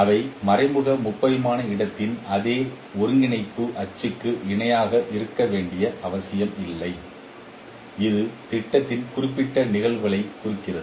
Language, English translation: Tamil, They need not be parallel to the same coordinate axis of the implicit three dimensional space representing this particular phenomenon of projection